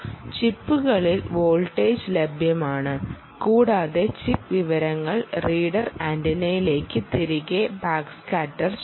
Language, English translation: Malayalam, the chip powers and the chip backscatters information back to the reader antenna